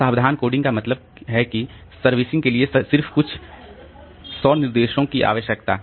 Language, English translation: Hindi, So, careful coding means just several hundred instructions needed